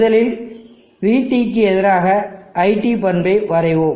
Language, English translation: Tamil, Let me first draw the VT versus IT characteristic